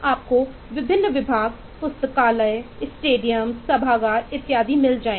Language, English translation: Hindi, you will find different departments: libraries, stadium, eh, auditorium and so on